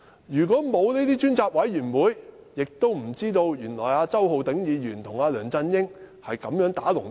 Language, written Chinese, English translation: Cantonese, 如果沒有這類專責委員會，我們怎會知道周浩鼎議員原來與梁振英"打龍通"。, If such select committees had not been formed how could we have known about the collusion between Mr Holden CHOW and LEUNG Chun - ying?